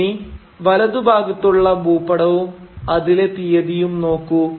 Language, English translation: Malayalam, Now look at the map on the right and the date